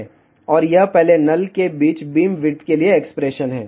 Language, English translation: Hindi, And this is the expression for beamwidth between first null